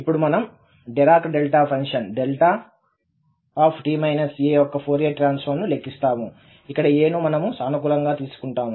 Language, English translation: Telugu, Now, we will compute the Fourier Transform of Dirac Delta function delta t minus a where we take this a again positive